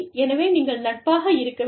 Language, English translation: Tamil, So, you must be friendly